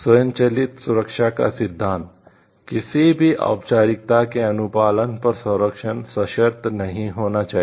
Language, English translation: Hindi, Principle of automatic protection; protection must not be conditional upon complies with any formality